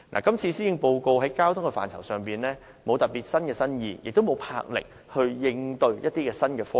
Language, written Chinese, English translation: Cantonese, 今次的施政報告在交通範疇上既無新意，亦無展示任何魄力應對新科技。, The Policy Address this year has neither given any ideas in terms of transport nor demonstrated any courage in dealing with new technologies